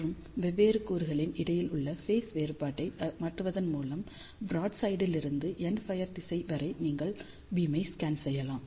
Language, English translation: Tamil, And just by changing the phase difference between the different element, you can scan the beam from broadside to all the way to the endfire direction